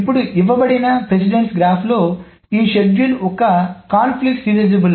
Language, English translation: Telugu, Now given this precedence graph, a schedule is conflict serializable